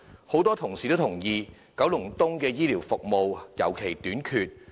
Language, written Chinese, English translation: Cantonese, 很多同事都認同九龍東的醫療服務尤其短缺。, Many colleagues agree that healthcare services in Kowloon East are particularly inadequate